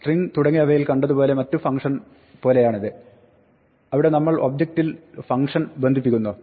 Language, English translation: Malayalam, This is like some of the other function that you saw with strings and so on, where we attach the function to the object